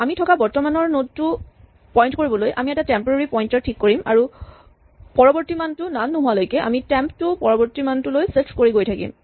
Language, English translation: Assamese, We set up a temporary pointer to point to the current node that we are at and so long as the next is none we keep shifting temp to the next value